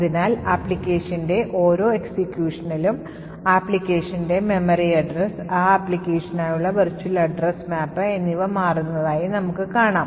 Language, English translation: Malayalam, Thus we see that each run of the application thus we see with each run of the application, the memory address of the application, the virtual address map for that application is changing